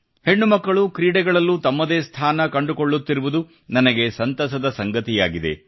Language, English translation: Kannada, I am especially happy that daughters are making a new place for themselves in sports